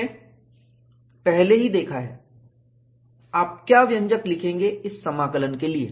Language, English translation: Hindi, We have already seen, what is the expression that you would write for this integration